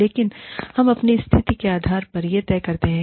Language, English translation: Hindi, But, we decide this, based on our situation